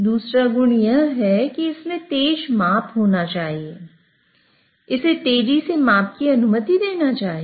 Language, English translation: Hindi, The second quality is that it should have fast measurement